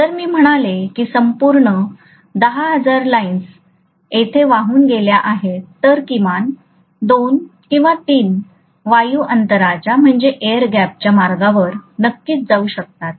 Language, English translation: Marathi, So if I say totally 10,000 lines are there on the whole as flux lines, at least 2 or 3 can definitely be following the path through the air gap